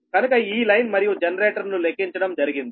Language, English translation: Telugu, so this all line and generator computed